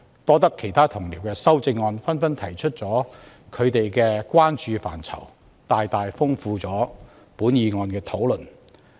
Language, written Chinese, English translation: Cantonese, 有賴其他同事提出修正案，加入他們關注的範疇，大大豐富了本議案的討論。, Thanks to the amendments proposed by other Members which set out their areas of concern the discussion on this motion has been greatly enriched